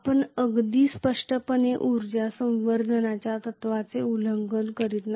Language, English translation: Marathi, We are not violating energy conservation principle, very clearly